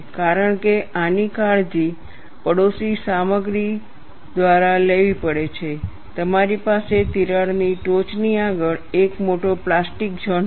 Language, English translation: Gujarati, So, you have this, since this has to be taken care of by the neighboring material, you will have a larger plastic zone ahead of the crack tip